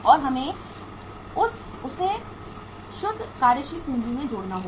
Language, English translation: Hindi, And we will have to add up into that net working capital